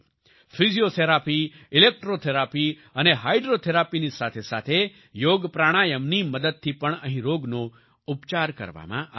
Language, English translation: Gujarati, Along with Physiotherapy, Electrotherapy, and Hydrotherapy, diseases are also treated here with the help of YogaPranayama